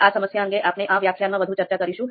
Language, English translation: Gujarati, So, we will be discussing this problem in this lecture as well